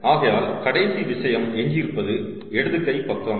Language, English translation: Tamil, so the final thing that is remaining is the left hand side